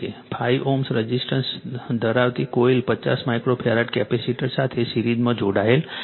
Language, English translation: Gujarati, A coil having a 5 ohm resistor is connected in series with a 50 micro farad capacitor